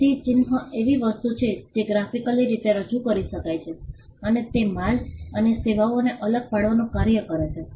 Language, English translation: Gujarati, So, a mark is something that can be graphically indicated represented graphically, and it does the function of distinguishing goods and services